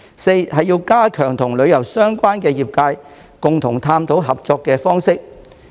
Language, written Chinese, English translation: Cantonese, 四是加強與旅遊相關業界共同探討合作方式。, Fourthly efforts should be stepped up to explore ways of cooperation jointly with the tourism - related sectors